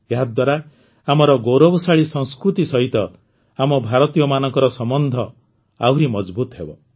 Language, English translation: Odia, This will further strengthen the connection of us Indians with our glorious culture